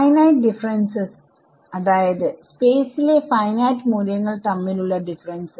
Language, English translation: Malayalam, Finite differences so, differences between finite values in space